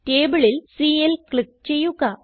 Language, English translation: Malayalam, Click on Cl from the table